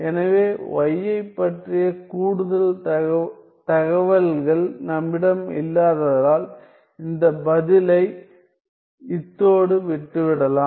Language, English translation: Tamil, So, this answer can be left at this point because we do not have further information about y